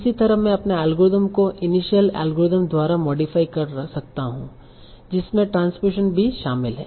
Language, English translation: Hindi, And that's how I can modify my algorithm, the initial algorithm to also include transposition